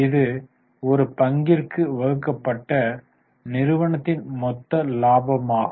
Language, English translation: Tamil, T, this is the total profit of the company divided by number of shares to know the profit available per share